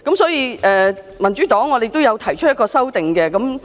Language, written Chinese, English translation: Cantonese, 所以，民主黨亦將提出修正案。, Hence the Democratic Party will propose its own amendment